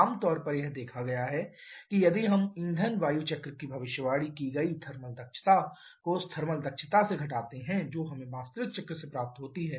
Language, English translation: Hindi, Generally it has been observed that if we assume there is a means the thermal efficiency predicted by fuel air cycle minus the thermal efficiency that we get from actual cycle